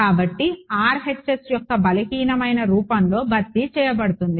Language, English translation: Telugu, So, in the weak form of RHS is going to be replaced by